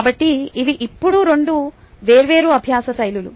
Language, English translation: Telugu, so these are now two different learning styles